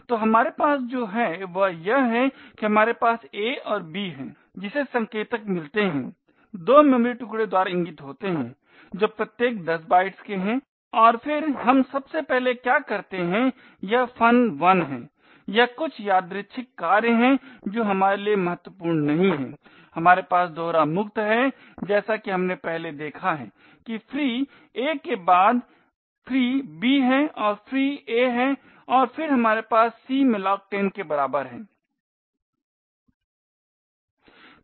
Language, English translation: Hindi, So what we have here is that we have a and b which gets pointers pointed to by two chunks of memory which is of 10 bytes each and then what we do first is invoke this function 1 it is some arbitrary function which is not important for us then we have the double free as we have seen before that is the free a followed by free b and then free a and then we have the c equal to malloc 10